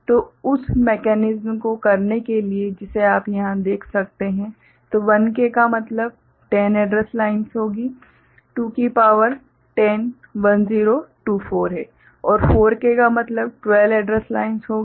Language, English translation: Hindi, So, to do that one mechanism that you can see over here; so, 1K means 10 address lines will be there, 2 to the power 10 is 1024, and 4K means 12 address lines will be there